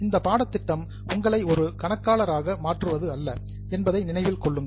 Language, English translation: Tamil, Keep in mind that this course is not to make you an accountant